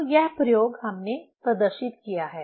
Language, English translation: Hindi, So, this experiment we have demonstrated